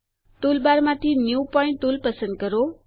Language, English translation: Gujarati, Select the New Point tool, from the toolbar